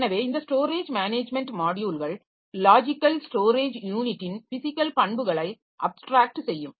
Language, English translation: Tamil, So, this storage management modules they will abstract physical properties of logical storage unit